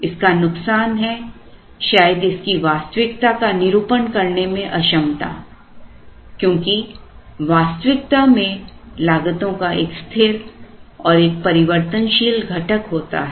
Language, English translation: Hindi, The disadvantage is perhaps its inability to actually capture the reality because in reality costs have a fixed component and a variable component